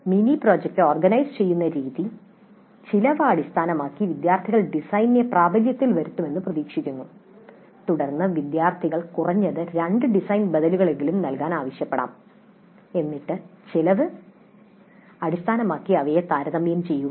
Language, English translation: Malayalam, If the way the mini project is organized, students are expected to work out the cost based on the design, then the students may be asked to provide at least two design alternatives, then compare them based on the cost